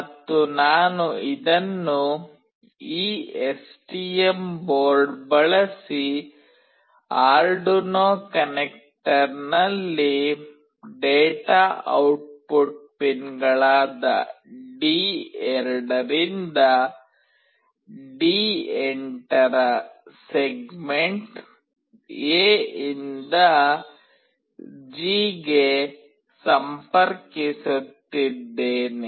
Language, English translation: Kannada, And I will be connecting this from segment A to G of the data output pins D2 to D8 on the Arduino connector using this STM board